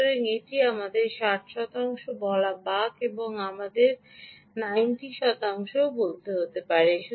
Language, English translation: Bengali, so this is, let us say, ah, sixty percent and this is going to, lets say, ninety percent